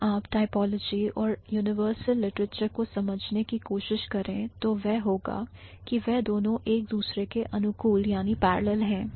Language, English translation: Hindi, So, they are primarily or if you try to understand typology and universal literature, that's going to be they are parallel to each other